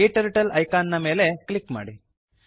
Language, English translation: Kannada, Click on the KTurtle icon